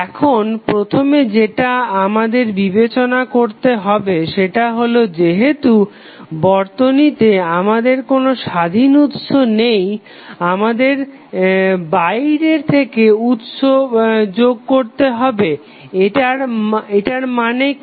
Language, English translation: Bengali, Now, first things what first thing which we have to consider is that since we do not have any independent source in the circuit we must excite the circuit externally what does it mean